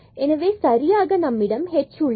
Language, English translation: Tamil, So, exactly we have this is like h here